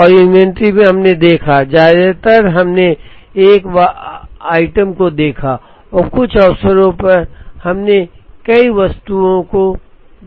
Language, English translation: Hindi, And in inventory we looked at, most of the times we looked at a single item and on some occasions, we looked at multiple items